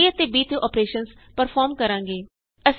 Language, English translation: Punjabi, We will perform operations on a and b